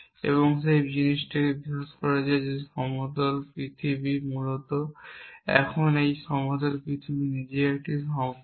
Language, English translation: Bengali, And the thing that believed is believed in is the flat earth essentially now, but flat earth itself a relation